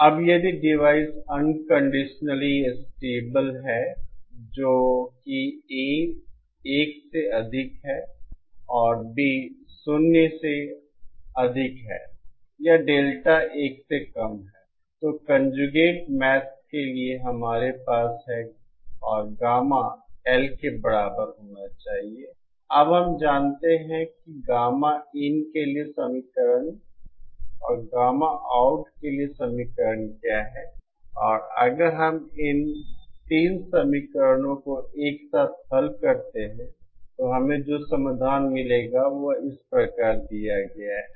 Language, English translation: Hindi, Now if the device unconditionally stable that is A greater than 1 and B greater than 0 or Delta less than 1 then for conjugate maths, we have to have and gamma L should be equal to now we know what is the equation for gamma in and the equation for gamma out and if we solve these 3 equations simultaneously then the solution that we will get is given like this